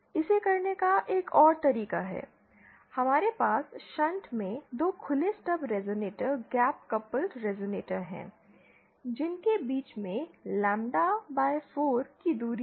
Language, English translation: Hindi, Other way of doing it is, we have 2 open stub resonators gap coupled resonators in shunt like this with a lambda by 4 distance between them